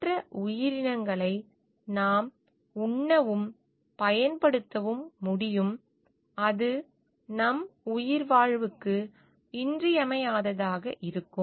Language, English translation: Tamil, We can eat and use other creatures only to the extent it is vital for our survival